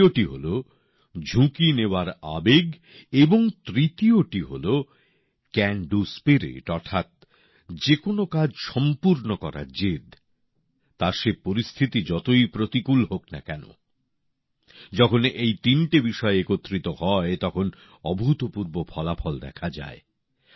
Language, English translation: Bengali, The second is the spirit of taking risks and the third is the Can Do Spirit, that is, the determination to accomplish any task, no matter how adverse the circumstances be when these three things combine, phenomenal results are produced, miracles happen